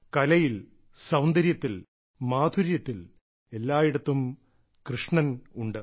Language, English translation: Malayalam, Be it art, beauty, charm, where all isn't Krishna there